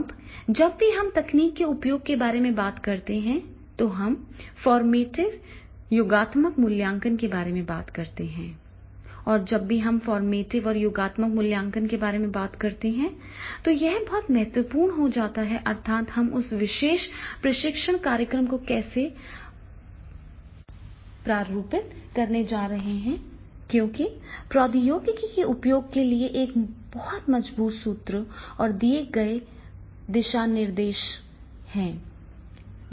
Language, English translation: Hindi, Now whenever we are talking about the use of technology then we talk about the formative and summative assessment and whenever we talk about the formative and summative assessment, it becomes very, very important that is the how we are going to format that particular training program because in the use of technology there has to be a very strong formative and the given guidelines as per the given guidelines as per the formative the training program will be designed